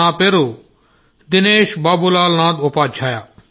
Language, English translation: Telugu, Sir, my name is Dinesh Babulnath Upadhyay